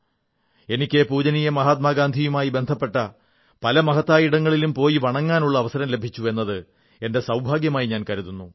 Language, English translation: Malayalam, I have been extremely fortunate to have been blessed with the opportunity to visit a number of significant places associated with revered Mahatma Gandhi and pay my homage